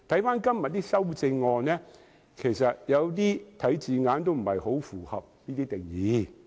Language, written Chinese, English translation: Cantonese, 今天的修正案的一些字眼不是很符合這個定義。, Some of the wordings in todays amendments do not conform to this definition